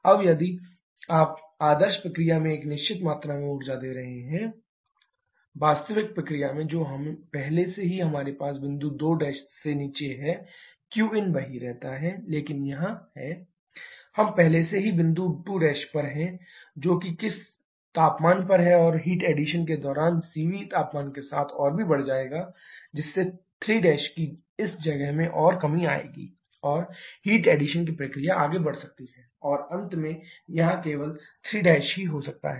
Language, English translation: Hindi, In the actual process what is happening already have down to point 2 prime q in remains same but here CV into T3 T2 prime we are already down to point 2 prime what temperature and during heat addition she will increase even further with temperature thereby causing further reduction in this location of 3 prime and the heat addition process may go on and end up only somewhere here 3 Prime